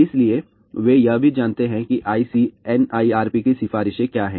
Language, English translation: Hindi, So, they also know what are the ICNIRP recommendations